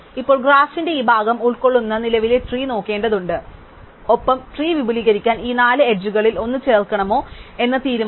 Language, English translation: Malayalam, Now, we have to look at the existing tree which consists of this part of the graph and decide whether to add one of these four edges to extend it